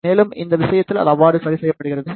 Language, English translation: Tamil, And, in this case it is adjusted in such a way